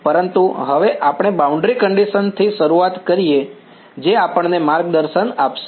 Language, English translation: Gujarati, But now let us start with the boundary condition that is what is going to guide us